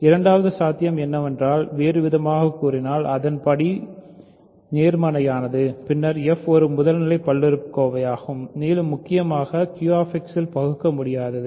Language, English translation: Tamil, Second possibility is it is not constant in other words its degree is positive, then f is actually a primitive polynomial and more importantly f is irreducible in Q X